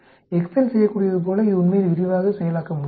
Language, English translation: Tamil, It cannot really process in detail like excel is able to do